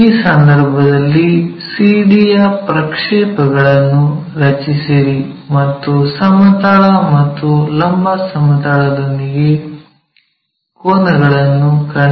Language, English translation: Kannada, If that is the case draw projections of CD and find angles with horizontal plane and vertical plane